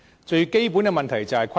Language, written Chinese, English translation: Cantonese, 最基本的問題就是虧損。, The most fundamental problem is losses